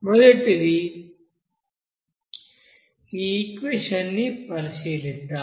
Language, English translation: Telugu, Okay let us write this equation first